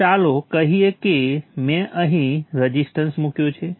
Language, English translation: Gujarati, So let's say I put a resistance here